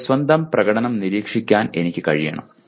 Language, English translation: Malayalam, I should be able to monitor my own performance